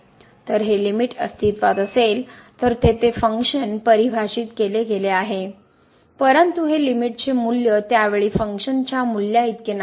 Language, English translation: Marathi, So, the limit exists the function is defined, but this limiting value is not equal to the functional value at that point